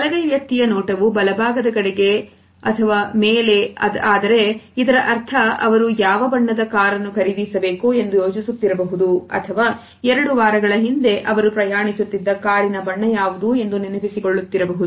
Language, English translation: Kannada, If the case goes up for a right handed person it means that, it is a visual thinking for example, I might be thinking what colour of a car I should purchase or what was the colour of a car I was travelling two weeks back